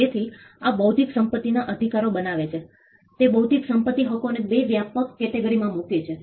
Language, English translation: Gujarati, So, this makes intellectual property rights, it puts intellectual property rights into 2 broad categories 1